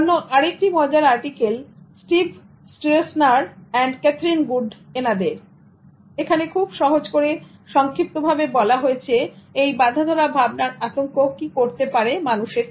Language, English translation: Bengali, And there is also another interesting article by Steve Strozener and Catherine Good on Stereotype threat and overview, which very simply summarizes what stereotype threat can do to people